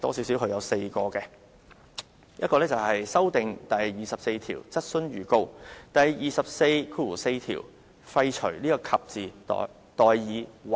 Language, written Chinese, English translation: Cantonese, 首先，他建議修訂第24條，在第244條廢除"及"而代以"或"。, First of all he proposes to amend RoP 24 to repeal character and and substitute character or in RoP 244